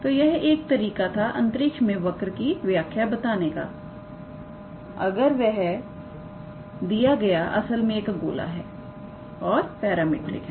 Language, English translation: Hindi, So, that is one way to define a curve in space, if the given curve is actually a sphere and the parametric